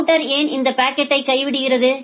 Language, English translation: Tamil, Why the router drops this packet